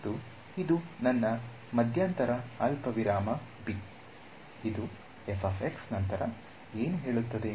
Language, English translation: Kannada, And, this is my interval a comma b, this is f of x then what is it say